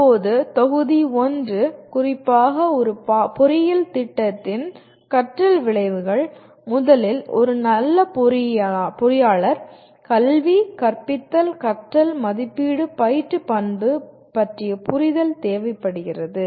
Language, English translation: Tamil, Now coming to module 1 a little more specifically, learning outcomes of an engineering program, first require an understanding of characteristic of a good engineer, education, teaching, learning, assessment, and instruction